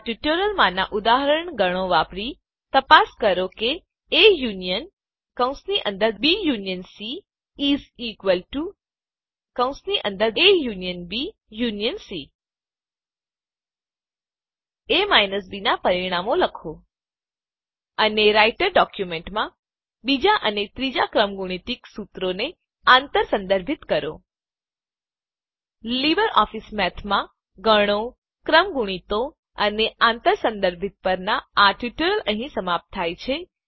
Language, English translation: Gujarati, Using the example Sets in this tutorial: check if A union is equal to union C Write the results of A minus B And cross reference, the second and third factorial formulae in the Writer document This brings us to the end of this tutorial on Sets, Factorials and Cross Referencing in LibreOffice Math